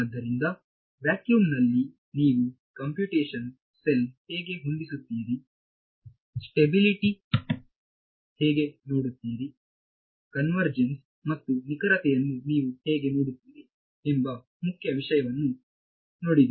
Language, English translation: Kannada, So, far in vacuum looked at the main thing how do you set up the computational cell, how do you look at stability, how do you look at convergence and accuracy all of those things right